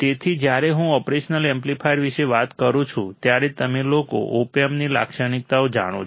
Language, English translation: Gujarati, So, when I talk about operational amplifier, you guys know the characteristics of op amp